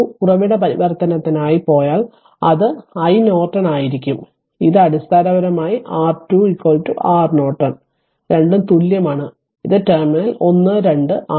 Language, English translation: Malayalam, And if you go for source transformation, so, it will be your i Norton right and this will be your basically R Thevenin is equal to R Norton both are same and this is terminal 1 2